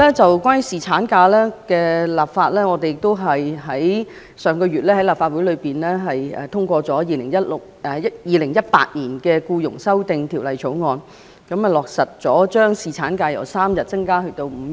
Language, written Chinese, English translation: Cantonese, 此外，在侍產假方面，上個月立法會亦通過了《2018年僱傭條例草案》，落實將侍產假由3天增加至5天。, In addition in respect of paternity leave the Legislative Council has also passed the Employment Amendment Bill 2018 last month to implement the increase in paternity leave from three days to five days